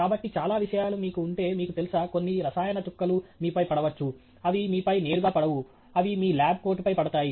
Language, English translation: Telugu, So, many things that if you have, you know, a few drops spilling on you, they do not directly fall on you, they fall on your lab coat